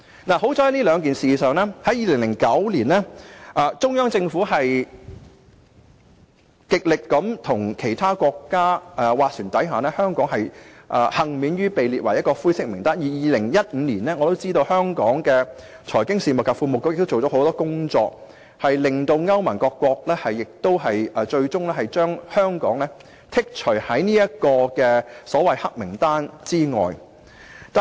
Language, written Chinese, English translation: Cantonese, 幸好，就該兩次事件，中央政府在2009年極力與其他國家斡旋，使香港幸免於被列入灰色名單，而在2015年，我知道香港的財經事務及庫務局做了很多工作，令歐盟各國最終將香港剔除於所謂"黑名單"之外。, Fortunately on these two occasions the Central Government made all - out efforts to negotiate with other countries in 2009 so that Hong Kong was spared from being on the grey list . In 2015 I knew that the Financial Services and the Treasury Bureau had made a lot of efforts and eventually the EU countries excluded Hong Kong from the so - called blacklist